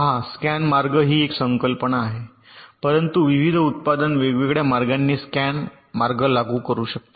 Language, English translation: Marathi, see, scan path is a concept but various manufactures can implements, can path in different ways